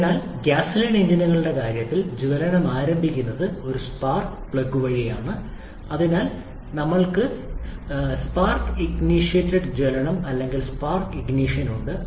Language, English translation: Malayalam, So, in case of gasoline engines, the ignition is initiated by a spark plug, so we have spark initiated combustion or spark ignition whereas we have self ignition here in case of Diesel engine